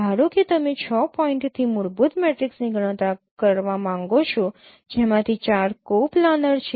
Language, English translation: Gujarati, Suppose you would like to compute fundamental matrix from six points out of which four are coplanar